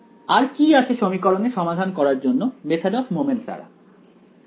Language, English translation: Bengali, So, what else is there in this equation to solve in the method of moments, what will happen